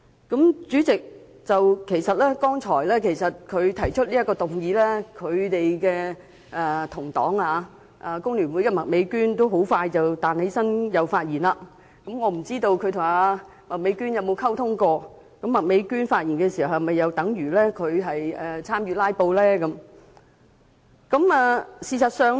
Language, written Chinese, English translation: Cantonese, 代理主席，其實他剛才提出這項議案時，他的工聯會黨友麥美娟議員很快便起立發言，不知他曾否與麥美娟議員作出溝通，麥美娟議員就議案發言又是否等於參與"拉布"？, Deputy President as a matter of fact his fellow party member Ms Alice MAK rose to speak soon after he has moved the adjournment motion and I do not know if he has communicated with Ms Alice MAK on this matter . As Ms Alice MAK has spoken on the motion does it mean that she has also engaged in filibustering?